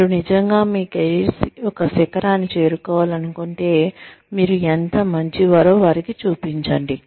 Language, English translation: Telugu, If you really want to reach the peak of your career, show them, how good you are